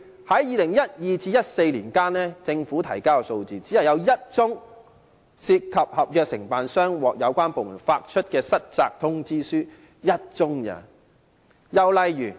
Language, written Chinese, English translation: Cantonese, 在2012年至2014年期間，據政府提交的數字顯示，只有1宗涉及合約承辦商接獲有關部門發出失責通知書，只有1宗而已。, According to the figures submitted by the Government from 2012 to 2014 there was only one case in which a contractor received a default notice issued by the relevant department